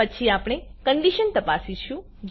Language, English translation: Gujarati, Then we check the condition